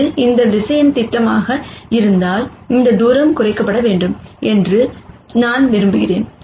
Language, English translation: Tamil, And if this is the projection of this vector I want this distance to be minimized